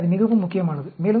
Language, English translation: Tamil, So, that is very, very important